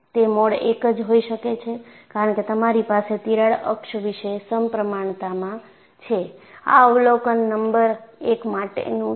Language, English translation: Gujarati, It is essentially mode 1, because you have symmetry about the crack axis; this is observation number one